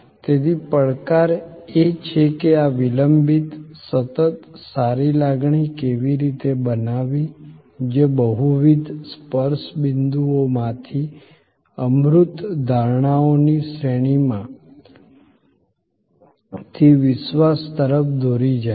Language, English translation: Gujarati, So, the challenge is how to create this lingering, continuing, good feeling, leading to trust belief from a series of intangible perceptions out of multiple touch points